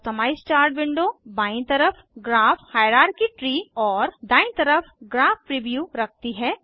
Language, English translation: Hindi, Customize Chart window has, Graph hierarchy tree on the left and Graph preview on the right